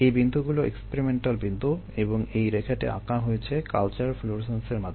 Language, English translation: Bengali, yah, the points are experimental points and the line is given by culture florescence